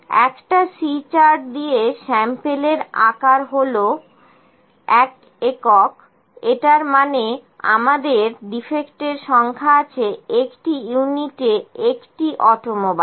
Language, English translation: Bengali, With a C chart, the sample size is one unit that is we had the number of defects in an automobile in a in one unit